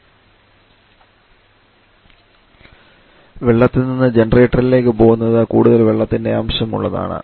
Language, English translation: Malayalam, The one going from absorber to generator is more water content